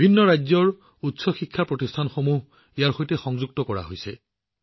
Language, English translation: Assamese, Higher educational institutions of various states have been linked to it